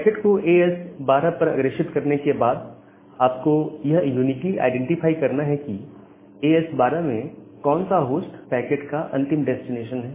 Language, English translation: Hindi, So, once the packet is being forwarded to as 12, then you have to uniquely identify that which host inside as 12 need that packet or is the final destination of that packet